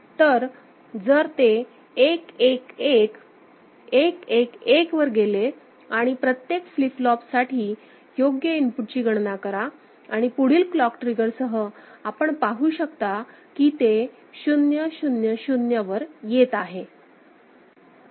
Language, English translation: Marathi, So, if it goes to 1 1 1 11 1 and then, you can consider the you know, calculate the input for each of the flip flops right and with a next clock trigger, you can see that it is coming to 0 0 0